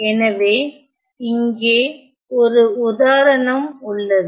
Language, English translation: Tamil, So, here is one more example